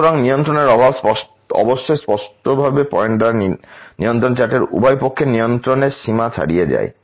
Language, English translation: Bengali, So, lack of control obviously would be indicated by points falling outsides the control limits on either side of the control charts